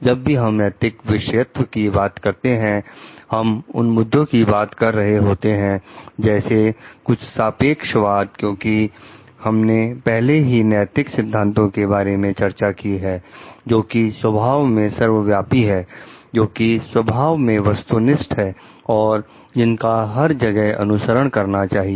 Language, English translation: Hindi, Whenever we are talking of ethical subjectivism, we are talking of issues like some relativism because, we have already discussed about ethical principles which may be universal in nature, which may be objective in nature, which needs to be followed everywhere